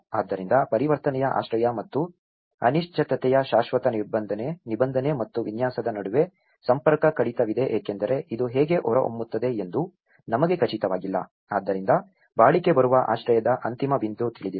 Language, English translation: Kannada, So, also there is a disconnect between the transitional shelter and the permanent provision and design of uncertainty because we are not sure how this is going to turn out, so the durable shelter end point was unknown